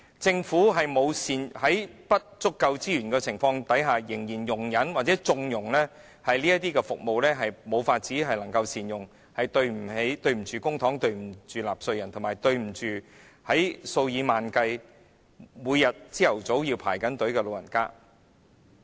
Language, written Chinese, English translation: Cantonese, 政府在資源不足的情況下，仍然容忍或縱容這些服務未獲善用，對不起公帑、對不起納稅人，以及對不起數以萬計每天早上排隊的長者。, Despite having insufficient resources the Government still tolerates or condones the suboptimal utilization of these services so this is not doing justice to the public funds taxpayers and also the tens of thousands of elderly people queuing up in the morning every day